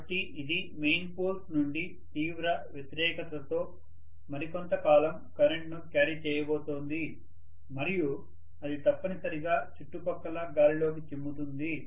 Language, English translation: Telugu, So, it is going to carry the current for some more time under heavy opposition from the main poles and that will essentially spill over into the surrounding air